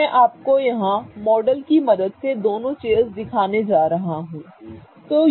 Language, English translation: Hindi, So, I am going to show you both the chairs here with the help of models